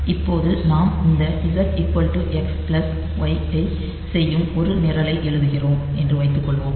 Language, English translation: Tamil, Now suppose we are writing a program that will be doing this Z equal to X plus Y